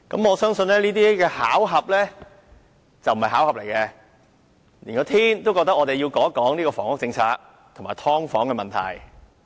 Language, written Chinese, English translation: Cantonese, 我相信這並非巧合，而是上天也認為我們要談談房屋政策和"劏房"問題。, I believe it is no coincidence for even God finds it necessary for us to discuss the housing policy and the problem of subdivided units